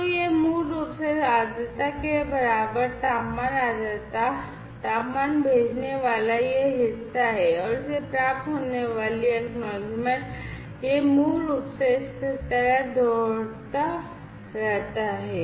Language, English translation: Hindi, So, these are basically this part sending temperature humidity temperature equal to this humidity equal to this and acknowledgement received this basically keeps on repeating like this